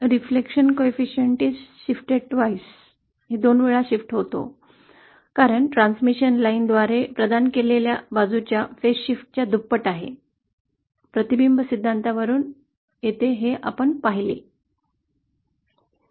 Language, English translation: Marathi, We saw that reflection coefficient is face shifted twice, as twice the amount of face shift provided by a transmission line & so that comes from theory